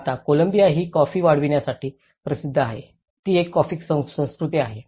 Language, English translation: Marathi, Now Columbia is known for its coffee growing, it’s a coffee culture